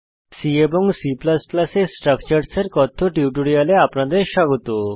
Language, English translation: Bengali, Welcome to the spoken tutorial on Structures in C and C++